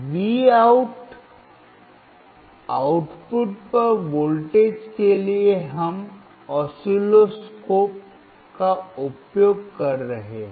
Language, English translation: Hindi, For voltage at output Vout we are using oscilloscope